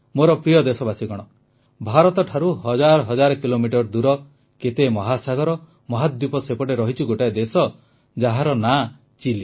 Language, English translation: Odia, thousands of kilometers from India, across many oceans and continents, lies a country Chile